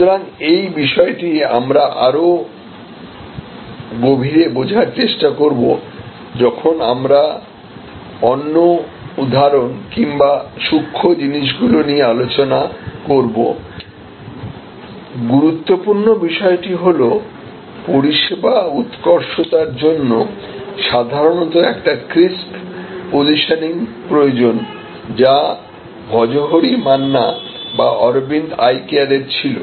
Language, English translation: Bengali, So, this is what we will try to study further as we go to examples and other nuances, important point is that service excellence needs usually a position here, which is very crisp like Bhojohori Manna or Aravind Eye Care